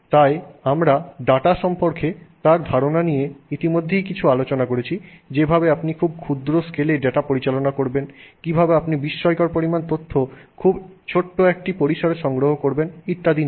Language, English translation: Bengali, So, we already had some discussion on his ideas with respect to data, you know, the way in which you could handle data at a very small scale, how you could put tremendous amount of information in tiny spaces